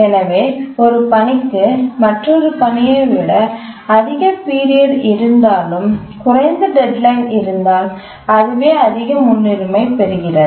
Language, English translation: Tamil, So even if a task has higher period than another task but it has a lower deadline then that gets higher priority